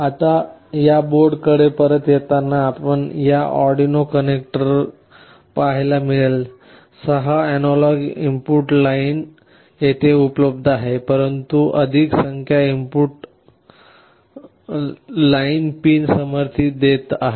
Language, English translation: Marathi, Now, coming back to this board again, you see in this Arduino connector, the six analog input lines are available here, but more number of analog input pins are supported